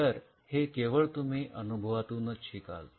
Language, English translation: Marathi, But this is what comes from experience